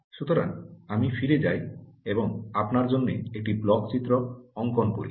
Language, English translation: Bengali, so let me go back and write a block diagram for you